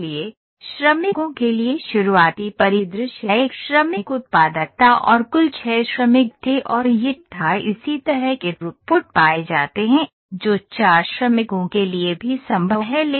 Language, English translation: Hindi, So, for the workers the starting scenario was one worker productivity as I said total 6 workers and it was found similar throughput that is possible for 4 workers as well